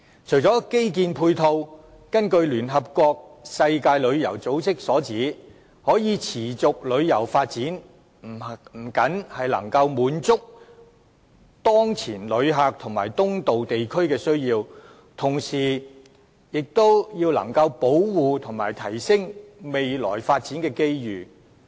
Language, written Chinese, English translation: Cantonese, 除了基建配套外，聯合國世界旅遊組織指出，"可持續旅遊發展不僅能滿足當前遊客和東道地區的需要，同時還能保護並提升未來的發展機遇。, Infrastructural facilities aside sustainable tourism fulfils the needs of the tourists and that of their host countries it protects and enhances future opportunities for development as the World Tourism Organization of the United Nation stated